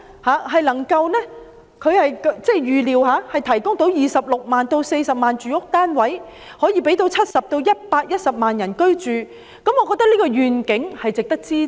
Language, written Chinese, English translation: Cantonese, 既然當局預料計劃可以提供26萬至46萬個住屋單位，可以供70萬至110萬人居住，我認為這個願景便值得支持。, Since the authorities expect that the programme will provide 260 000 to 460 000 residential units housing 700 000 to 1.1 million people I think the vision is worthy of support